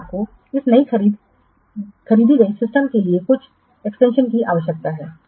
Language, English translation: Hindi, Now you require some extensions to this newly purchased system